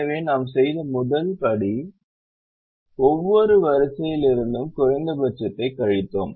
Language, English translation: Tamil, so the first step, what we did was we subtracted the minimum from every row